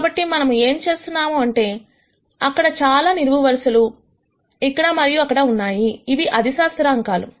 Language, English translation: Telugu, So, what we are doing is there are many columns here and there are, these scalar constants much like this